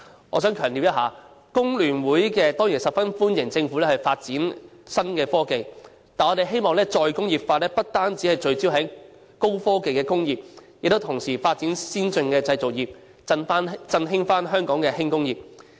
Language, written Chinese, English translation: Cantonese, 我想強調，工聯會當然十分歡迎政府發展新科技，但我希望再工業化不單聚焦於高科技的工業，同時亦須發展先進的製造業，重新振興香港的輕工業。, I wish to emphasize that FTU surely welcomes the Governments move to develop innovative technologies . However I also hope that re - industrialization can focus not only on hi - tech industries but also on developing advanced manufacturing industries so as to re - vitalize the light industries of Hong Kong